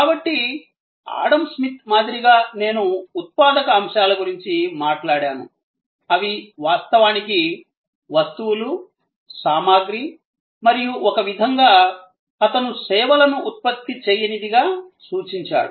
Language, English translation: Telugu, So, like Adam Smith I have talked about productive elements, which were actually the goods, objects and in some way, he connoted services as unproductive